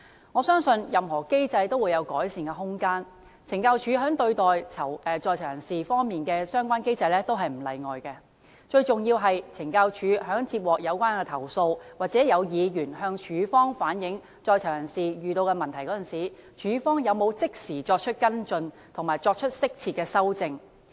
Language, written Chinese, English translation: Cantonese, 我相信任何機制均會有改善的空間，懲教署在對待在囚人士方面的相關機制也不例外，最重要是懲教署在接獲有關投訴，或有議員向署方反映在囚人士遇到的問題時，署方有否即時作出跟進及適切的修正。, I believe there is room for improvement in any mechanism and the mechanism of CSD in treating inmates is no exception . What matters most is whether CSD will instantly follow up and appropriately rectify the problems when it receives complaints from inmates or when a Member reflects the problems to it